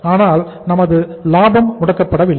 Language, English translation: Tamil, Our profit is not blocked